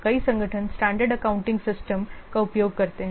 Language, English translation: Hindi, Many organizations, they use standard accounting systems